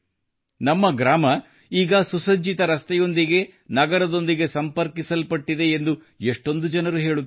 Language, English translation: Kannada, Many people say that our village too is now connected to the city by a paved road